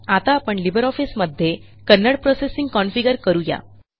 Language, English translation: Marathi, Now we will configure Kannada processing in LibreOffice